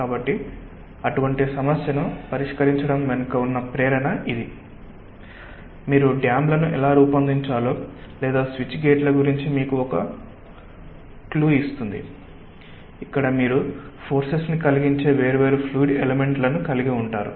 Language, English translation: Telugu, so that is the motivation behind solving such a problem: that it gives you a clue of how to design may be dams or switch gates where across which you have different ah fluid elements which are [egg/exerting] exerting forces